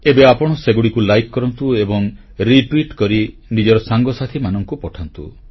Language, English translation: Odia, You may now like them, retweet them, post them to your friends